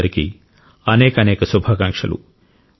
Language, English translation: Telugu, My best wishes to all of you